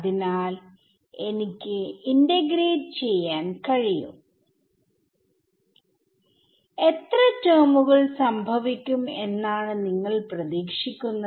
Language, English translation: Malayalam, So, I can integrate it, how many terms do you expect will happen